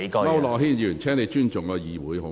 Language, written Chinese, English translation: Cantonese, 區諾軒議員，請你尊重議會。, Mr AU Nok - hin please respect the Council